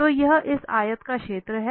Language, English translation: Hindi, So that is the area of this rectangle